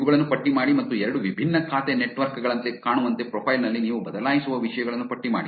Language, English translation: Kannada, List down these and list down things that you will change in the profile to make them look two different accounts also